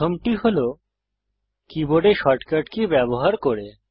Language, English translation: Bengali, First is using the shortcut keys on the keyboard